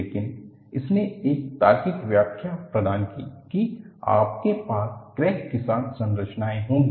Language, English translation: Hindi, But, it provided a logical explanation that you will have structures with crack